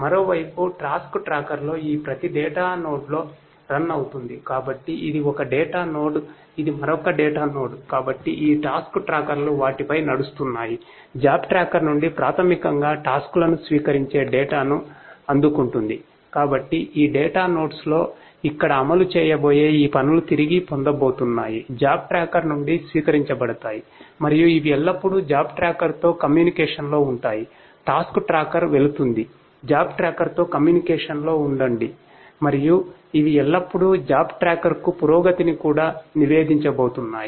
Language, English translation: Telugu, So, the tasks this tasks that are going to be executed over here in this data nodes are going to be retrieved are going to be received from the job tracker and these are going to always be in communication with the job tracker, the task tracker is going to be in communication with the job tracker and these are always going to also report the progress to the job tracker